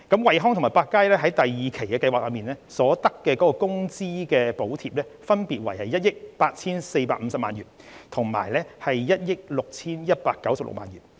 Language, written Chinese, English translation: Cantonese, 惠康和百佳在第二期計劃所得的工資補貼，分別為1億 8,450 萬元及1億 6,196 萬元。, Wellcome and PARKnSHOP respectively received wage subsidies of 184.5 million and 161.96 million under the second tranche of the Employment Support Scheme